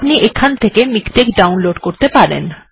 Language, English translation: Bengali, So you can download this